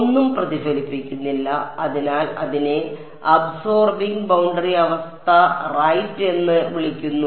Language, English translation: Malayalam, Nothing is reflecting back therefore, it is called absorbing boundary condition right